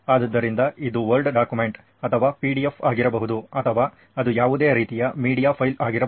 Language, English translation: Kannada, So it can be a word document or a PDF or, so it could be any kind of a media file